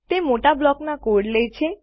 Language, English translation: Gujarati, It takes large blocks of code